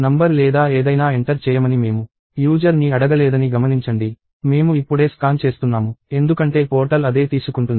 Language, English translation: Telugu, Notice that, I did not prompt the user to say like enter the number or anything; I am just scanning because that is what the portal takes